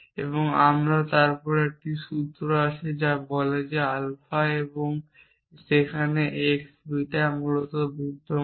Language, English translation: Bengali, And then we have this new formula is which say that alpha and there exists x beta essentially